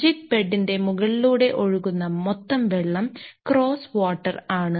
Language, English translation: Malayalam, The total water flowing across the top of the jig bed is the cross water